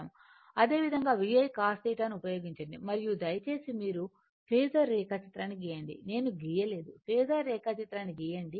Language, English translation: Telugu, Similarly, using VI cos theta we got it and your job is you please draw the phasor diagram phasor diagram I have not drawn for you